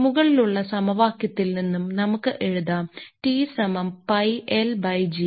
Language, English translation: Malayalam, We can write that is as we are writing it, that t is equal 2 pi L by g